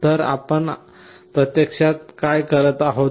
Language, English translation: Marathi, So, what we are actually doing